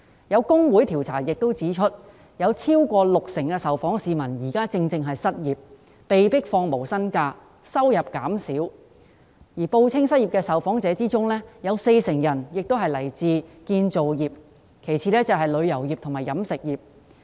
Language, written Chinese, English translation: Cantonese, 有工會調查亦指出，有超過六成受訪市民現正失業，或被迫放無薪假，收入減少；而在報稱失業的受訪者中，有四成人來自建造業，其次是旅遊業及飲食業。, As reflected by the findings of a survey conducted by a trade union more than 60 % of the respondents are now unemployed or are forced to take no - pay leave and their income has dropped . Among those who have reported that they are unemployed 40 % come from the construction industry followed by the tourism and catering industries